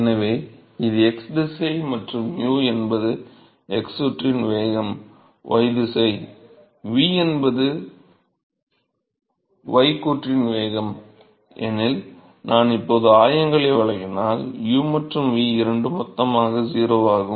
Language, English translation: Tamil, So, if I give coordinates now if this is my x direction and u is my x component velocity and this is y direction, v is my y component velocity then both u and v are 0 in bulk